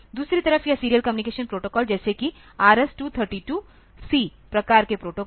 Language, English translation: Hindi, On the other hand this serial communication protocol likes is RS232 C type of protocol